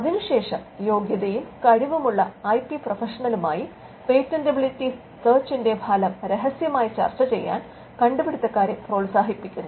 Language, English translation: Malayalam, Now, the inventors are then encouraged to discuss in confidence the result of the patentability search with the qualified or a competent IP professional